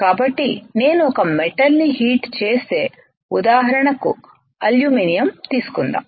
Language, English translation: Telugu, So, if I keep on heating a metal let us say take an example of aluminum right